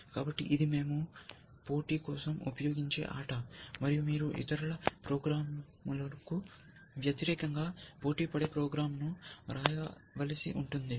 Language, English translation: Telugu, So, that is the game that we will use for the competition, you will have to write a program, which will compete against other peoples programs